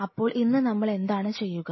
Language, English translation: Malayalam, So, today what we will do